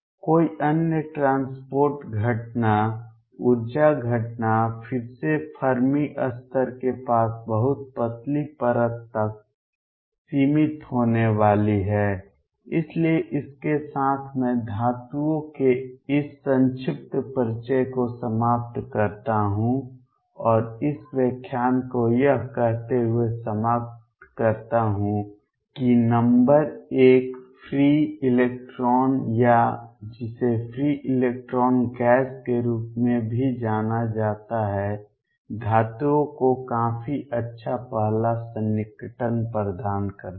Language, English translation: Hindi, Any other transport phenomenon energy phenomena as again going to be confined to very thin layer near the Fermi level, so with this I stop this brief introduction to metals and conclude this lecture by stating that number one, free electron or which is also known as free electron gas provides a reasonably good first approximation to metals